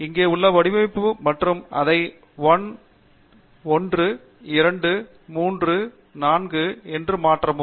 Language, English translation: Tamil, The format here and change it to 1, 2, 3, 4 and Apply